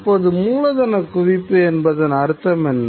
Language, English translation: Tamil, Now, what does he mean by capital accumulation